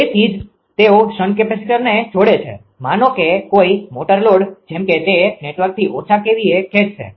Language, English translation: Gujarati, So, if that is why they connect the shunt capacitor across the suppose; a motor load such that it will draw less kVA from the network